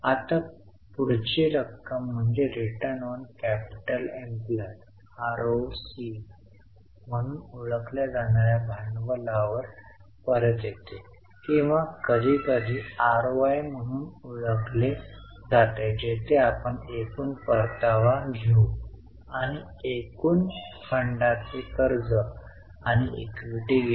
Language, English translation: Marathi, Now the next one is return on capital, popularly known as ROCE or sometimes called as ROI where we will take the total return and in the denominator take the total funds